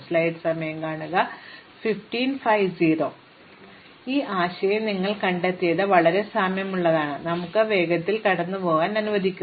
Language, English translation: Malayalam, So, the idea is very similar to what you have seen for let us go through it quickly